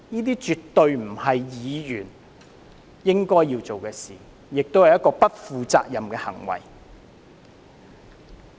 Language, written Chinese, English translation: Cantonese, 這絕對不是議員應該要做的事，亦是不負責任的行為。, It is an irresponsible act absolutely unbecoming of lawmakers